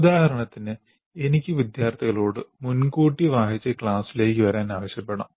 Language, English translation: Malayalam, For example, I can ask the students to read in advance and come to the class